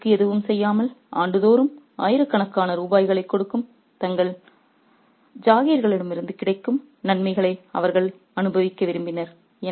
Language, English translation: Tamil, They wanted to enjoy the benefits from their jaguils, yielding thousands of rupees annually by doing nothing in return